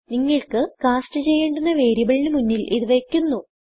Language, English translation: Malayalam, This cast is put in front of the variable you want to cast